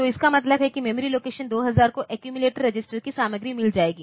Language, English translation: Hindi, So, it means that the memory location, 2000 will get the content of the accumulator register